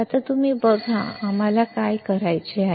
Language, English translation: Marathi, Now, you see what we have to do